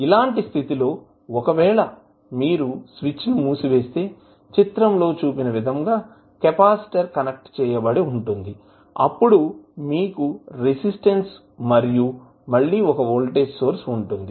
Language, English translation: Telugu, So, what will happen in that case if you close the switch the equivalent circuit will look like as shown in the figure where you have a capacitor connected then you have the resistance and again one voltage source